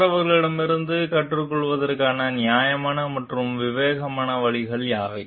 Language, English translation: Tamil, What are the fair and prudent means of learning from others